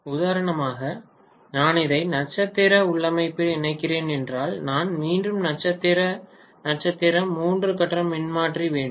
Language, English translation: Tamil, And if I am connecting for example this in star star configuration for example, so I am going to have again for the star star three phase transformer